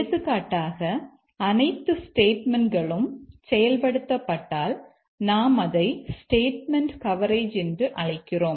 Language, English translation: Tamil, For example, whether all the statements are getting executed, we call it a statement coverage